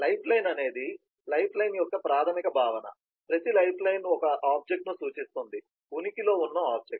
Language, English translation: Telugu, the basic concept of lifeline is every lifeline represents an object, an object in existence